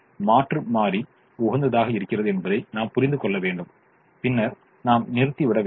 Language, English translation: Tamil, so i have to understand that alternate optimum is happening and then i will terminate